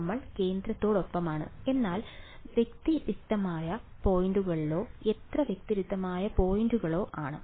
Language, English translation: Malayalam, We are, along the center, but at discrete points or how many discrete points